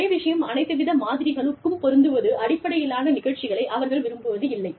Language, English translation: Tamil, They do not like based programs, that are based on one size, fits all model